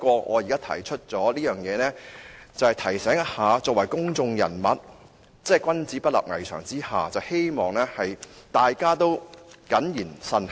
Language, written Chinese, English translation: Cantonese, 我提出這一點，只是想提醒一下大家作為公眾人物，君子不立危牆之下，希望大家謹言慎行。, I raise this point just to remind you all as public figure a person of integrity should stay away from hazardous situation hoping that we will be cautious with our speech and behaviour